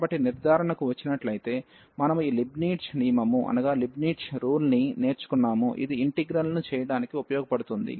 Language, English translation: Telugu, And coming to the conclusion so, we have learned this Leibnitz rule, which is useful for differentiating the integrals